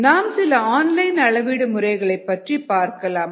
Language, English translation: Tamil, we will look at some online methods